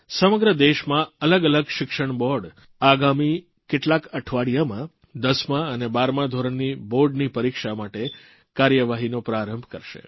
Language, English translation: Gujarati, In the next few weeks various education boards across the country will initiate the process for the board examinations of the tenth and twelfth standards